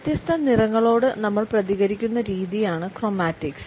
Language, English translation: Malayalam, Chromatics is the way we respond to different colors